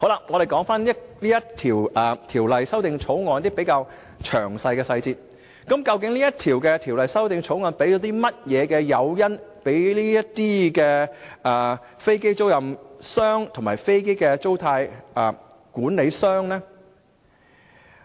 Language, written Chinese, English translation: Cantonese, 我們說回《條例草案》一些細節，究竟《條例草案》提供甚麼誘因予這些飛機出租商及飛機租賃管理商呢？, Let us come back to the details of the Bill . What incentives are provided in the Bill for these aircraft lessors and aircraft leasing managers?